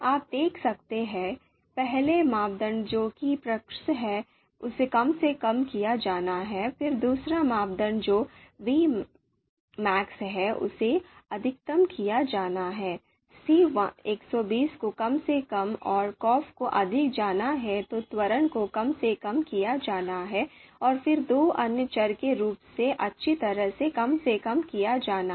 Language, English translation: Hindi, So you can see first criteria that is Prix it is to be minimized, then second criteria that is Vmax it is to be you know maximized maximized, the C120 is minimized and Coff is to be maximized then acceleration is to be minimized and then the two other variables they are to be minimized as well